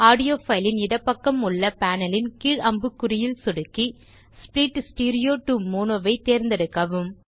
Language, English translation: Tamil, Now click on the drop down arrow on the panel to the left of the audio file and select Split stereo to mono